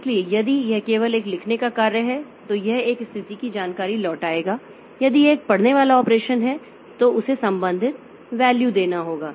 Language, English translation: Hindi, So, if it is simply a right operation then it will be returning a status information if it is a read operation then it has to give the corresponding value so this way this I